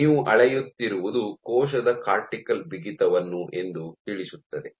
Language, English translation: Kannada, So, what you are measuring is the cortical stiffness of your cell